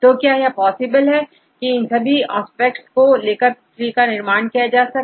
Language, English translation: Hindi, So, now is it possible to construct trees by considering all these aspects